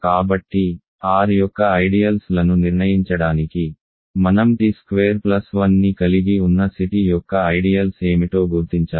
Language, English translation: Telugu, So, in order to determine ideals of R, I need to determine what are the ideals of C t that contain t square plus 1